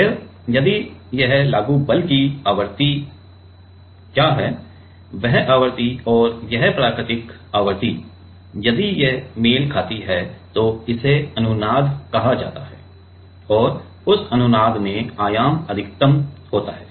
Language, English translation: Hindi, Then, if this frequency what is the applied force, that frequency and it is natural frequency, if it matches, then it is called resonance and in that resonance the amplitude is maximum